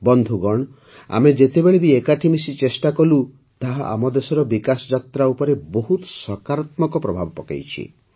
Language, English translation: Odia, Friends, whenever we made efforts together, it has had a very positive impact on the development journey of our country